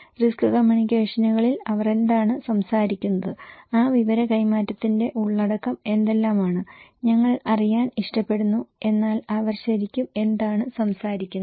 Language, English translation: Malayalam, What they are talking about, what are the contents of that exchange of informations that we also like to know, in risk communications but what they are really talking about